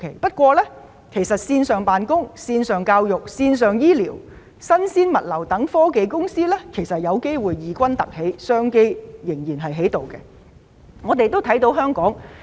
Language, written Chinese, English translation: Cantonese, 不過，線上辦工、教育、醫療、新鮮物流等科技公司其實有機會異軍突起，創造商機。, However for technology companies engaging in online office education health care and fresh products logistics they have actually become a new force with new business opportunities